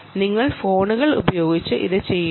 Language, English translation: Malayalam, how do you do it with phones